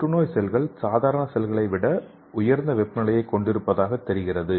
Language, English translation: Tamil, So the cancer cells appear to have more elevated temperature than normal cells okay